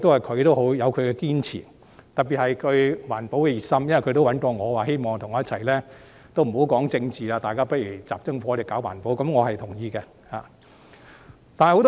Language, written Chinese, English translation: Cantonese, 他亦有他的堅持，特別是他對環保的熱心，他曾找我表示不談政治，只集中火力搞環保，我是同意的。, He has his convictions and he is particularly enthusiastic about environmental protection . He once said to me that we should put aside politics and only focus on environmental protection . I agreed with him